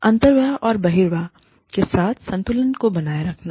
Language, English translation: Hindi, Keeping the inflow, in balance with the outflow